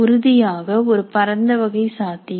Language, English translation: Tamil, So a wide variety, possible definitely